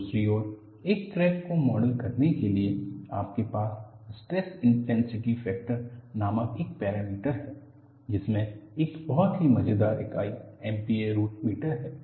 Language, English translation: Hindi, On the other hand, to model a crack, you have a parameter called stress intensity factor, which has a very funny unit MP a root meter